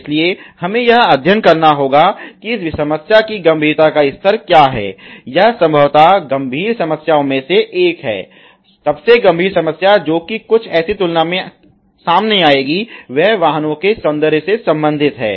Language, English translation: Hindi, So, we have to study that what is the severity level of this problem this is probably, one of the severs, most severe problems which would come out in comparison something which is related to aesthetic of the vehicles